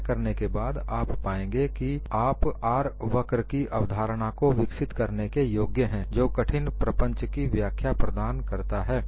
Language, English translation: Hindi, After doing that, you find you are able to develop the concept of R curve which provided explanations for difficult phenomena